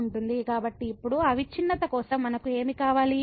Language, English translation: Telugu, So, now for the continuity what do we need